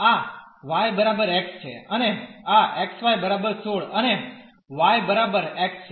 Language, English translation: Gujarati, This is y is equal to x and this is xy is equal to 16 and y is equal to x